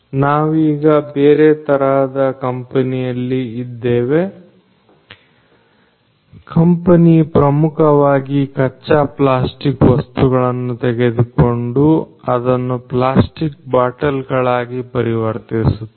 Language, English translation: Kannada, So, right now we are in another type of company which is basically a company which focuses on taking raw plastic materials and then converting them into plastic bottles